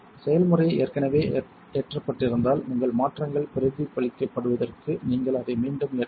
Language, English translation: Tamil, If the process is already loaded, you will need to reload it for your changes to be reflected